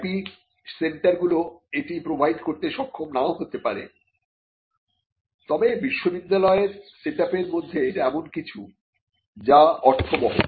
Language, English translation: Bengali, IP centres may not be able to provide this, but this is again something in within a university set up it could make sense